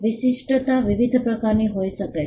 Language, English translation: Gujarati, The distinctiveness can be of different types